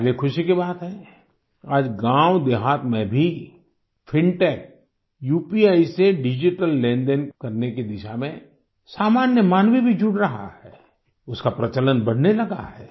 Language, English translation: Hindi, It is matter of delight for us that even in villages, the common person is getting connected in the direction of digital transactions through fintech UPI… its prevalence has begun increasing